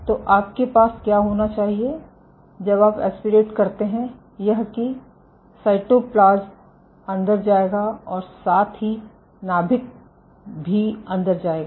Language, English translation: Hindi, So, what you should have is when you suck just like the cytoplasm will move in, the nucleus will also move in